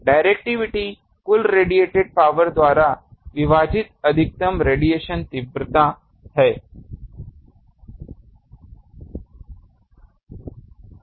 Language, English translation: Hindi, Directivity is the maximum radiation intensity divided by total radiated power